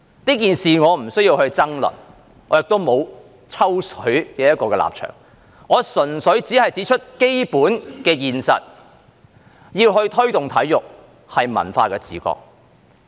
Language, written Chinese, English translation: Cantonese, 這件事我不需要爭論，我亦沒有"抽水"的立場，我純粹只是指出基本的現實，要推動體育是文化的自覺。, I do not need to argue about this incident nor do I have a position of piggybacking on it . I am simply pointing out the basic reality that cultural awareness is the key to promote sports